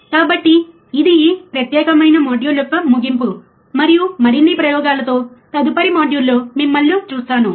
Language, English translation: Telugu, So, this is the end of this particular module, and I will see you in the next module with more experiments